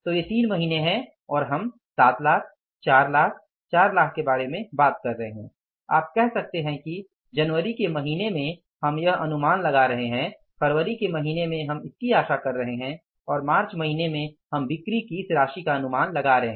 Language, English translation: Hindi, So, these are the three months and we are talking about the 7 lakhs, 4 lakhs, 4 lakhs, you can say that in the month of January we are anticipating this and in the month of March we are anticipating this much amount of sales